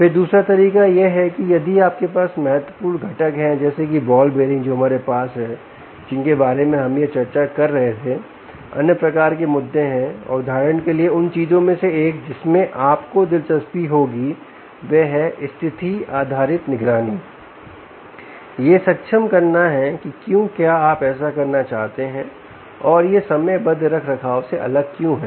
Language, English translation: Hindi, right then the other way is if you have critical components, like the ball bearing which we have, which are which we were discussing here, there are other kind of issues and, for instance, one of the things that you would be interested in condition based monitoring ah is to enable why do you want to do that and why is it different from timed maintenance